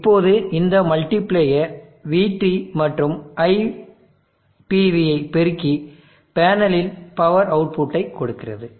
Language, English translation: Tamil, Now this multiplier multiplies VT and IPV and gives with the power output of the panel